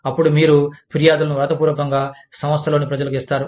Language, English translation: Telugu, Then, you give the grievance in writing, to the people, in the organization